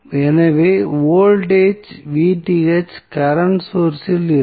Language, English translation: Tamil, So, voltage Vth would be across the current source